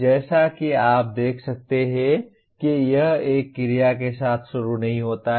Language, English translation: Hindi, As you can see it does not start with an action verb